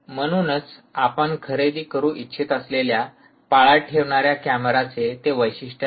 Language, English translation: Marathi, so they will be a specification for the surveillance camera that you want to buy